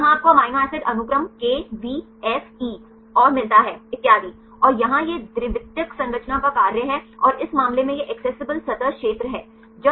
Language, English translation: Hindi, So, here you get amino acid sequence KVFE and so on, and here this is the assignment of secondary structure and this case ACC this is the accessible surface area